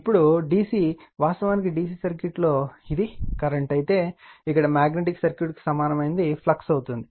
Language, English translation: Telugu, Now, phi actually in DC circuits say if it is a current, here analogous to magnetic circuit is a flux